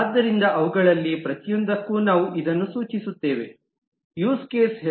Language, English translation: Kannada, So for each one of them we specify that this is the use case name